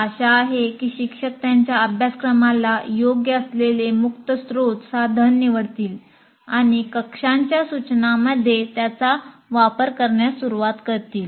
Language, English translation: Marathi, So hopefully the teachers would select an open source tool appropriate to his course and start using in your classroom instruction